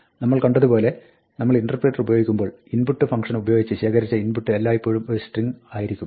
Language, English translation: Malayalam, As we saw, when we were playing with the interpreter, the input that is read by the function input is always a string